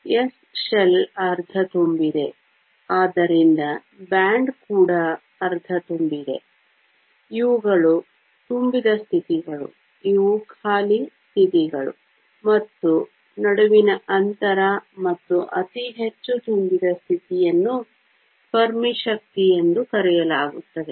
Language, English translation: Kannada, The s shell is half filled, so the band is also half filled; these are the filled states, these are the empty states and the gap between, and the highest filled state is called the Fermi energy